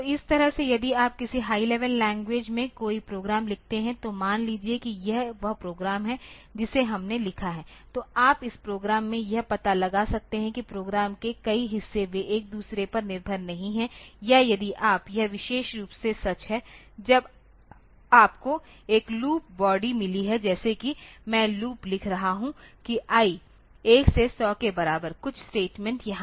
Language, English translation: Hindi, So, in that way if you write a program in some high level language, suppose this is the this is the program that we have written then you can find out into in this program several parts of the program they are that are not dependent on each other or if you are this is particularly true when you have got a loop body like say I am writing a loop for I equal to 1 to 100 some statements are there